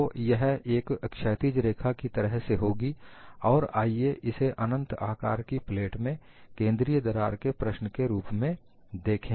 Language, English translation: Hindi, So, this will be like a horizontal line and let us look at the problem of infinite plate with a central crack